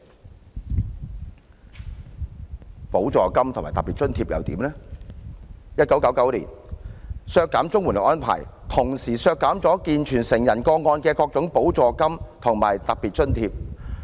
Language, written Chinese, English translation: Cantonese, 至於補助金及特別津貼方面 ，1999 年削減綜援的安排，同時削減了健全成人個案的各種補助金及特別津貼。, As for supplement and special grants the arrangement of cutting CSSA payments in 1999 included the reduction of various categories of supplement and special grants for able - bodied adult cases